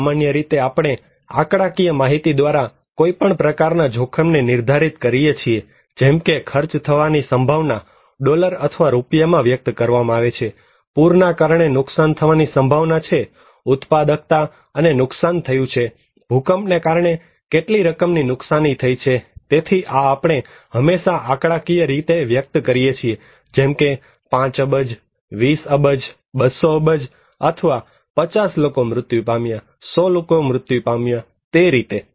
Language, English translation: Gujarati, Generally, we determine any kind of risk by numerical measures, like expressed in chance of that much cost in dollar or in rupees, loss is expected to due to a flood, a loss of productivity has been lost, that much of amount due to earthquake so, these always we express in numerical figure; 5 billion, 20 billion, 200 billion, or, 50 people died, 100 people died like that